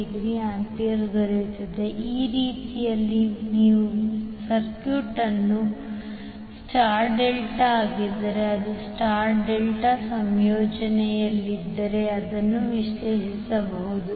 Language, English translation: Kannada, So in this way you can analyze the circuit if it is star delta if it is in the star delta combination